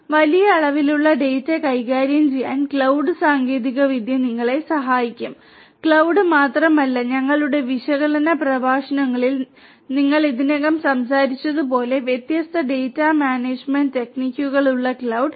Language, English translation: Malayalam, So, cloud technology will help you to handle huge volumes of data to handle huge volumes of data; not cloud alone, cloud with different other data management techniques like the ones that we have already spoken in our analytics lectures